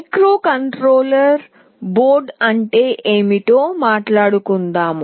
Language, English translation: Telugu, Let me talk about what is a microcontroller board